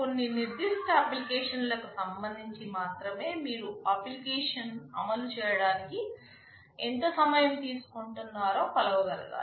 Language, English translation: Telugu, Only with respect to some specific application, you should be able to measure how much time it is taking to run my application